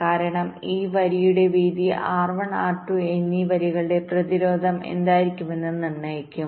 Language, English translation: Malayalam, because width of this line will determine what will be the resistance of this lines r one and r two, right